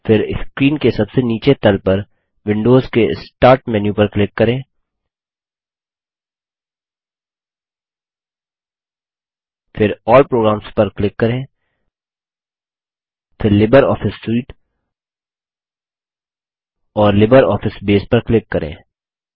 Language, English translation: Hindi, Then, click on the Windows Start menu at the bottom left of the screen, then click on All Programs, then LibreOffice Suite,and LibreOffice Base